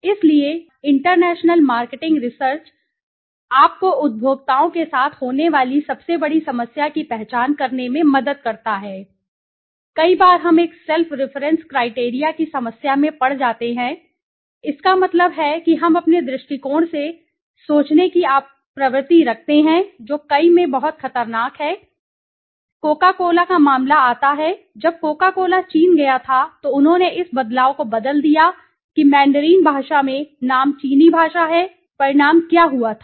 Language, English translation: Hindi, So, international marketing research helps you to identify the biggest problem that happens with consumers is marketers sorry not consumers is that many a times we get into a problem of a self reference criteria, that means we tend to think from our own point of view which is very dangerous in many cases take a case of coca cola when coca cola went to China they converted the change that name in the mandarin language is the Chinese language, what happen the was the result was that